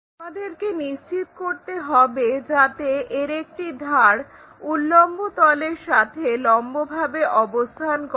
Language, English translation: Bengali, So, the edge, one of the edge, we make sure that it will be perpendicular to vertical plane